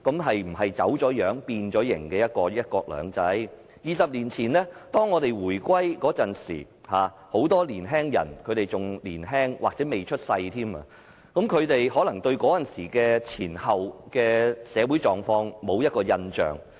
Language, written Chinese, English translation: Cantonese, 是否已走樣、變形的"一國兩制"？二十年前，當香港回歸時，很多人仍年輕或尚未出世，他們可能對回歸前後的社會狀況沒有印象。, Twenty years ago when Hong Kong returned to China many people who were very young or even were not born at the time might not have any impression about the social conditions before and after the reunification